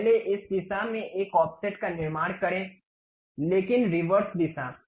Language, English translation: Hindi, First construct an offset not in this direction, but in the reverse direction